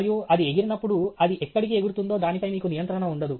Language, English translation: Telugu, And when it flies, you have no control on where it flies